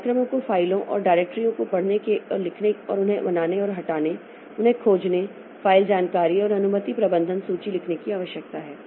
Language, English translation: Hindi, The programs need to read and write files and directories, create and delete them, search them, list file information and permission management